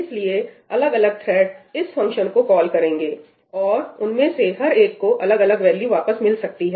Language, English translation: Hindi, So, different threads will be making calls to this function, and each one of them will get a different value back